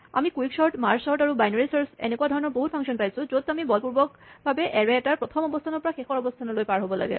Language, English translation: Assamese, So, we saw various functions like Quick sort and Merge sort and Binary search, where we were forced to pass along with the array the starting position and the ending position